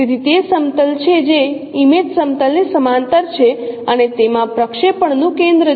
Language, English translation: Gujarati, So it is the plane which is parallel to image plane and containing the center of projection